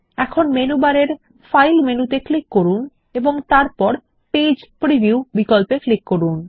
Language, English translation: Bengali, Now click on the File menu in the menu bar and then click on the Page preview option